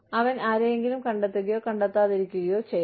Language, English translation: Malayalam, He may, or may not, find somebody